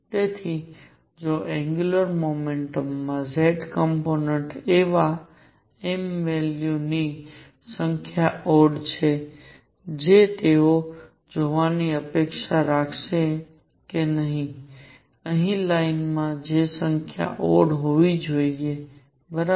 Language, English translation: Gujarati, So, if number of m values that is z component of angular momentum is odd what they would expect to see is that the number of lines here should be odd, right